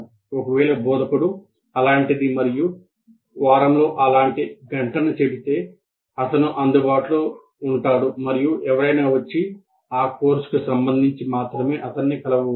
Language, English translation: Telugu, Should it be arbitrary or if the instructor may say such and such hour in a week, he is available in his chamber to meet a student without, anyone can come in and meet this teacher with regard to that course only